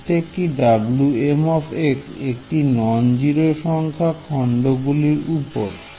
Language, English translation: Bengali, Each w is non zero on the different segment